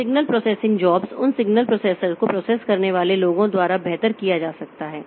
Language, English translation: Hindi, So, signal processing jobs can better be done by those signal processing signal processors